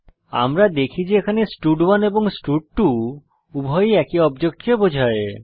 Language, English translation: Bengali, We can see that here both stud1 and stud2 refers to the same object